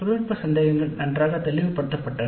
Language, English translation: Tamil, Technical doubts were clarified well